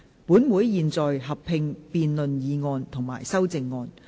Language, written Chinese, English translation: Cantonese, 本會現在合併辯論議案及修正案。, Council will conduct a joint debate on the motion and the amendments